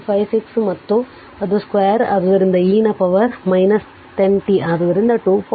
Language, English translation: Kannada, 56 and it is square so e to the power minus 10 t, so 2